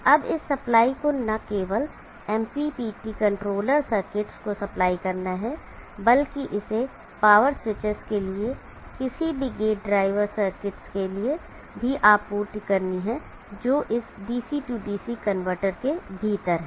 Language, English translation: Hindi, Now this supply, also supply not only the MPPT controller circuits, it also has to supply any gate drive circuits for the power switches which are there within this DC DC converter